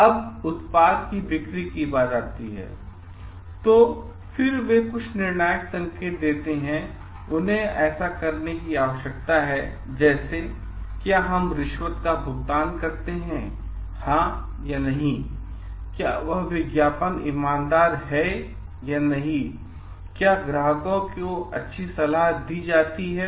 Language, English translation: Hindi, Now, when it comes to the sale of the product, they again certain decisional points that they need to take like, do we pay bribe yes or no, whether the advertisement is honest or not, where the customers are given really good advices